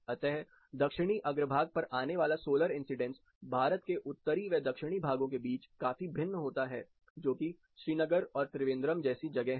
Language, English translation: Hindi, So, the solar incidents you receive on the Southern facade considerably vary between the Northern parts of India that is a location like Srinagar versus Trivandrum